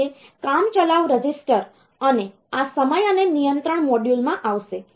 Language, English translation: Gujarati, So, it will come to the temporary register and this timing and control module